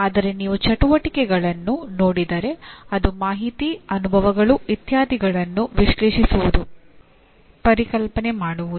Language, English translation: Kannada, But if you look at the activity, it is analyzing, conceptualizing information, experiences and so on